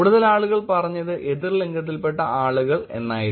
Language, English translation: Malayalam, And the highest was actually person of opposite gender